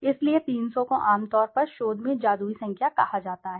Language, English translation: Hindi, So 300 being generally called in research as a magical number